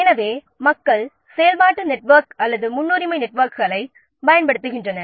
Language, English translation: Tamil, So, people are using activity network or this precedence networks